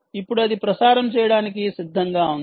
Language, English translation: Telugu, now this is ready to be transmitted